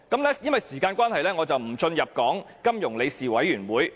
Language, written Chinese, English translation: Cantonese, 由於時間關係，我不討論金融穩定理事會。, Due to the time constraint I will not talk about the Financial Stability Board